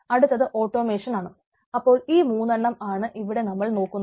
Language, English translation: Malayalam, so these are the three thing what we are looking there